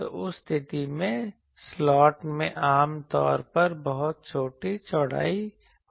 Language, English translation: Hindi, So, in that case slots are generally that width are very small